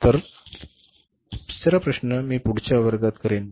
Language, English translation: Marathi, So third problem I will do in the next class